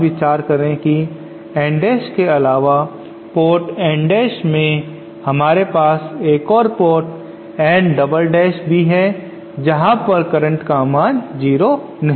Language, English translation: Hindi, Now consider that in addition to N dash the port N dash we also have another port N double dash where the current is non zero